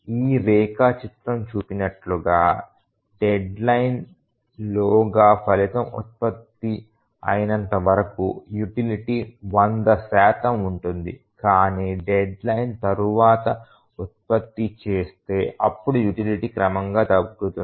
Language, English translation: Telugu, So, as this diagram shows that as long as the result is produced within the deadline, the utility is 100 percent, but if it s produced after the deadline then the utility gradually reduces